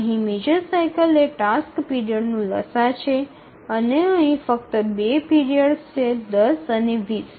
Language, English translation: Gujarati, The major cycle is the LCM of the task periods and here there are only two periods, 10 and 20